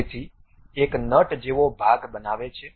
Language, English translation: Gujarati, So, it creates a nut kind of a portion